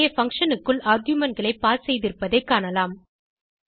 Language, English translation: Tamil, Here you can see that we have passed the arguments within the function